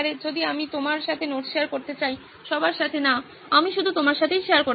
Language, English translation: Bengali, If I want to share notes with you, so to not all, I just want to share with you